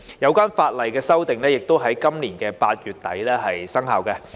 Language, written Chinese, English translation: Cantonese, 有關法例修訂亦已於今年8月底生效。, The legislative amendments came into effect at the end of August this year